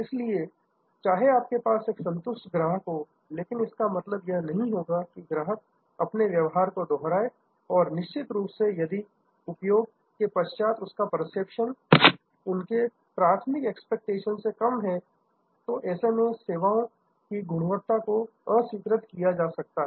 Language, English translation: Hindi, So, even though, you have a satisfied customer, it will not mean a repeat customer and of course, if the perception after the consumption is less than the original expectation, then it is unacceptable service quality